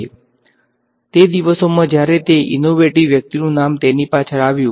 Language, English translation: Gujarati, So, back in the day when it was innovative people’s names went behind it